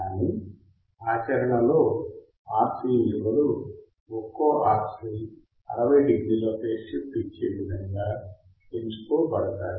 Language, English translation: Telugu, But the values are provided such that one RC provides a phase shift of 60 degrees